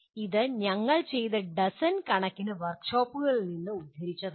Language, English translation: Malayalam, This has been borne out by dozens of workshops that we have done